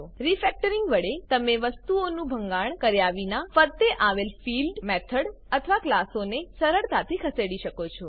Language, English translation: Gujarati, With Refactoring, you can easily move fields, methods or classes around, without breaking things